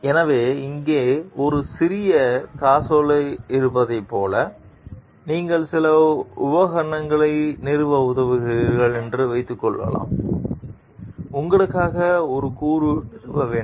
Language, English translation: Tamil, Now, if you go for this like suppose, you are helping to install some equipment you have to install one component by yourself